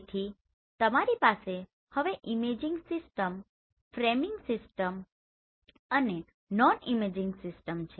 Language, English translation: Gujarati, So here you have imaging system framing system and non imaging system